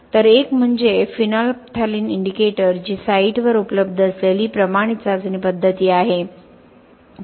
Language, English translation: Marathi, So one is phenolphthalein indicator which is a standard test method available in site also